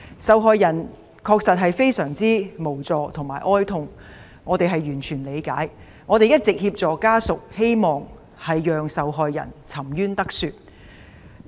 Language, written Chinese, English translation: Cantonese, 受害人確實相當無助，家屬也非常哀痛，我們對此完全理解，亦一直向家屬提供協助，希望受害人沉冤得雪。, The victims are indeed quite helpless and their family members are deeply grieved . We fully understand that and we have been providing assistance to their family members and we hope that the victims injustice will be redressed . The incident happened more than a year ago